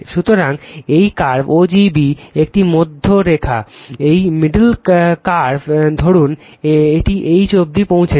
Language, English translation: Bengali, So, this is the curve o g b right, this is the middle line right, this middle your curve right o g b right, suppose it has reach up to H